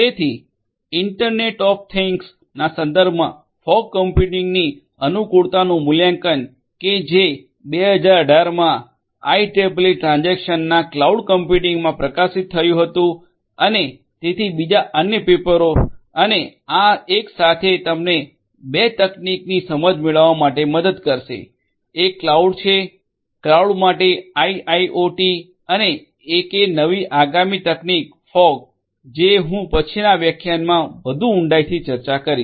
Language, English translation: Gujarati, So, Assessment of the Suitability of Fog Computing in the Context of Internet of Things which was published in the IEEE Transactions on Cloud Computing in 2018 and so the other papers and this one together will help you to get an understanding of 2 technologies; one is cloud; cloud for IIoT and also the newer upcoming technology fog which I am going to again discussing further depth in the next lecture